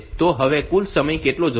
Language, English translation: Gujarati, So, what is the total time needed now